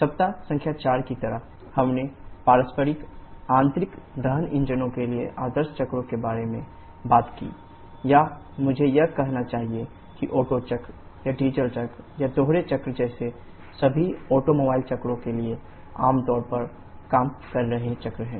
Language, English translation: Hindi, Like in week number 4 we talked about the ideal cycles for reciprocating type internal combustion engines or I should say which are the generally working cycles for all the automobile’s cycles like the Otto cycle or Diesel cycle or Dual cycle